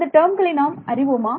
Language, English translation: Tamil, Do I know this term